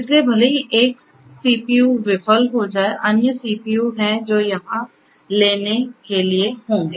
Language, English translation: Hindi, So, even if one CPU fails there are other you know CPUs which will be here to take over